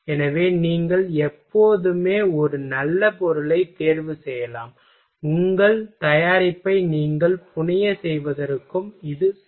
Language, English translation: Tamil, So, you can always choose a good material, for your fabrication of your product ok